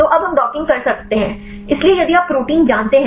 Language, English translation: Hindi, So, now we can do the docking; so, if you know the protein